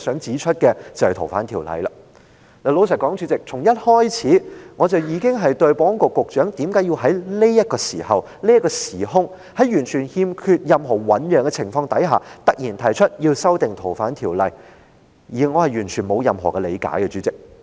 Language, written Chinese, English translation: Cantonese, 主席，老實說，我從一開始已經對保安局局長為何在這個時候，在完全欠缺醞釀的情況下突然提出修訂《條例》絕不理解。, Chairman to be honest ever since the outset I have found it absolutely incomprehensible why S for S suddenly proposed to amend FOO at this time without any prelude whatsoever